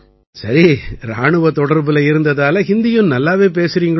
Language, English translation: Tamil, Being part of the army, you are also speaking Hindi well